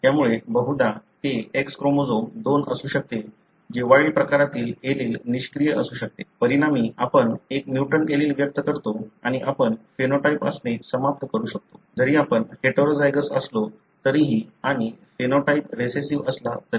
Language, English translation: Marathi, So, it may be a chance that in majority it could be X chromosome 2 which carries the wild type allele may be inactive; as a result you express a mutant allele and you may end up having the phenotype, even though you are heterozygous and even though the phenotype is recessive